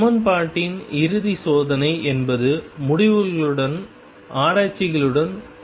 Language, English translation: Tamil, The ultimate test for the equation is matching of results with experiments